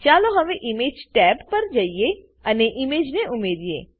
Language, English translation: Gujarati, Lets now go to the Image tab and add an image